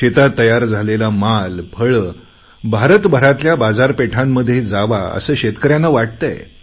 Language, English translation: Marathi, Farmers also feel that their ripened crops and fruits should reach markets across the country